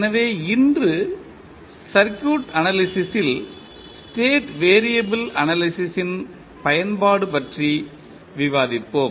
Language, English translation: Tamil, So, today we will discuss about the application of state variable analysis in the circuit analysis